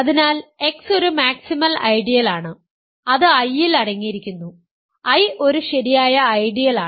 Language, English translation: Malayalam, So, X is a maximal ideal it is contained in I, I is a proper ideal